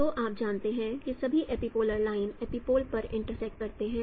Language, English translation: Hindi, So you know that epipolar lines, all epipolar lines they intersect at epipoles